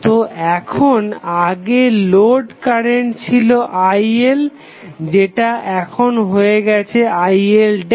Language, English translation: Bengali, So, now, earlier it was the load current Il, it has become Il dash